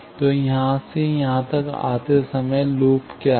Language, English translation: Hindi, So, while coming from here to here, what are the loops